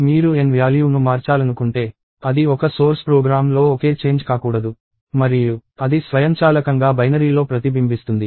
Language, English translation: Telugu, If you want to change the value of n, it cannot be a single change in a source program and which will automatically reflect in the binary to be different